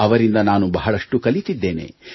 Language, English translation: Kannada, I have learnt a lot from them